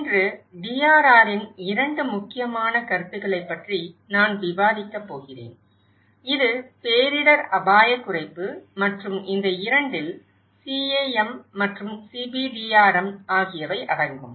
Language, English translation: Tamil, Today, I am going to discuss about 2 important concepts of DRR which is disaster risk reduction and these 2 includes CAM and CBDRM